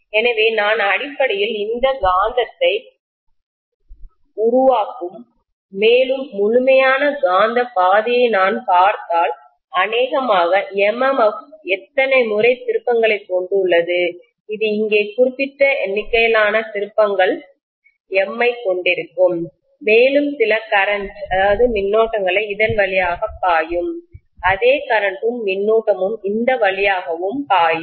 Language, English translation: Tamil, So I am essentially going to have this producing the magnetism, the North pole and South pole will produce magnetism and if I look at the complete magnetic path, I am probably going to have, so the MMF consists of how many ever number of turns I have here, this will also have certain number of turns M here and some current I is going to flow through this, same current I is probably going to flow through this as well